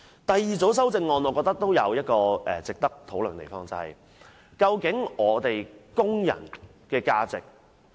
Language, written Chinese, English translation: Cantonese, 第二組修正案我認為亦有值得討論的地方，究竟工人的價值為何？, As for the second group of amendments I think there are points worth deliberating . How much is a worker worth?